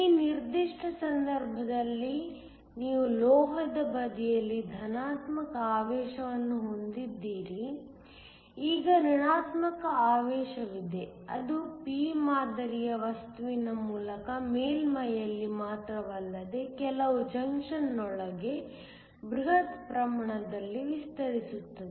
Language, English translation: Kannada, In this particular case, you have a positive charge on the metal side, now there is a negative charge that extends through the p type material not only at the surface, but also some with within the junction, within the bulk